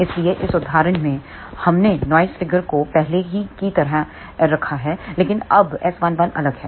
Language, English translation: Hindi, So, in this example we have kept the noise figures as before, but now S 11 is different